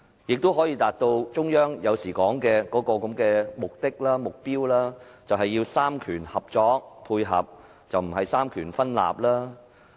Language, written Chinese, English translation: Cantonese, 也許他更能達到中央經常提到的目標，便是三權合作、三權配合，而非三權分立。, He may even be able to achieve the target frequently mentioned by the Central Authorities that is the cooperation and coordination among the three powers as an alternative to the separation of powers